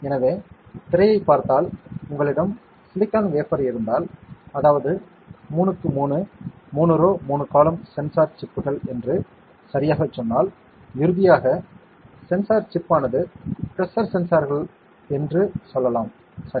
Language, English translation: Tamil, So, if you see the screen if you have silicon wafer and then you have let us say 3 by 3, 3 rows, 3 columns sensor chips right and finally, the sensor chip may be like let us say pressure sensors, ok